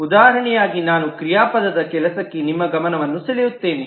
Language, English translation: Kannada, As an example, I would just draw your attention to the verb work